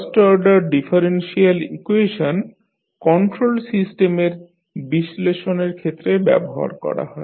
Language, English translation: Bengali, First order differential equations are used in analytical studies of the control system